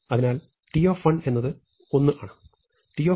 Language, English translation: Malayalam, So, t of 1 is 1